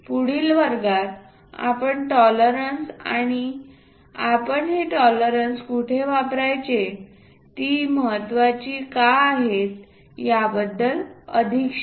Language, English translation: Marathi, In the next class, we will learn more about tolerances and where we use these tolerances, why they are important